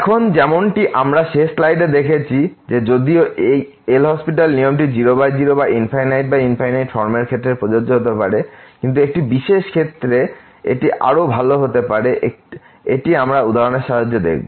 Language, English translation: Bengali, Now, as we have seen in the last slide that although this L’Hospital rule can be apply to 0 by 0 or infinity by infinity form, but 1 may be better in a particular case this we will see with the help of example in a minute